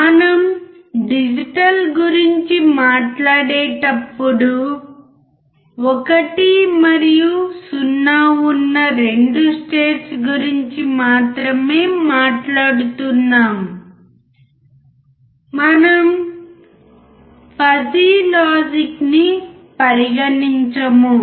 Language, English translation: Telugu, When we talk about digital we are only talking about 2 states that is 1 and 0 we are not considering the fuzzy logic